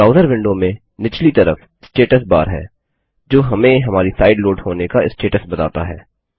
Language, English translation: Hindi, The Status bar is the area at the bottom of your browser window that shows you the status of the site you are loading